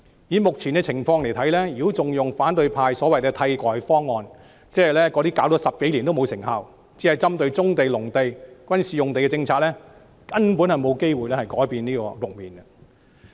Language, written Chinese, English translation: Cantonese, 以目前的情況來看，如果還採用反對派所謂的替代方案，即那些推行了10多年、針對棕地、農地和軍事用地的無甚效用政策，根本不能改變這個局面。, In view of the current situation if we still adopt the so - called alternative options advocated by the opposition camp ie . policies targeting brownfield sites agricultural lands and military sites which have been implemented for some 10 years but not quite effective we cannot change the situation at all